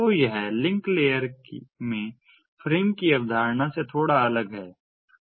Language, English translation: Hindi, so it is bit different from the concept of frame in the link layer